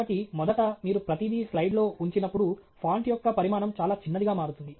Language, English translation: Telugu, So, first of all, when you put everything on a slide, the size of the font becomes very small